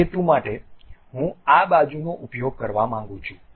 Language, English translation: Gujarati, For that purpose I would like to make use of this side